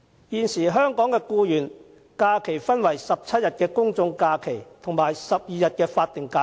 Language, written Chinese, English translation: Cantonese, 現時香港僱員的假期，分為17天公眾假期和12天法定假期。, Employees in Hong Kong nowadays can enjoy either 17 general holidays or 12 statutory holidays